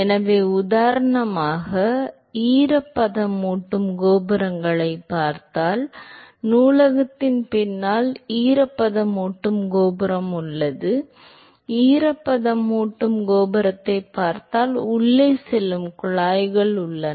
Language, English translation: Tamil, So, for example, if you look at the humidifying towers there is a humidifying tower behind the library if you look at the humidifying tower there are tubes which are going inside and